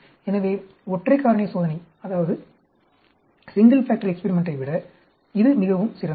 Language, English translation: Tamil, So, it is much better than doing single factor experiment